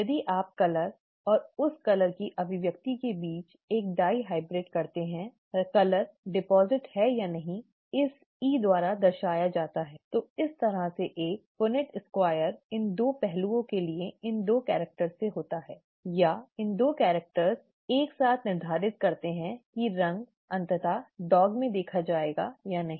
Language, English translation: Hindi, If you do a dihybrid between colour and expression of that colour, okay, whether the whether the colour is deposited as shown by this E, then this kind of a Punnett square results from these 2 characters for these 2 aspects, or these 2 characters and both those characters together determine whether the colour is seen ultimately in the dog or not